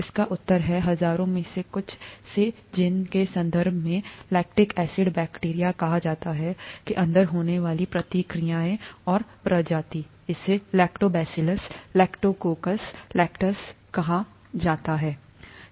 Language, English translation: Hindi, The answer is, from some among the thousands of reactions that occur inside what is called the lactic acid bacteria, in the terms of genus and species, it’s called Lactobacillus, Lactococcus Lactis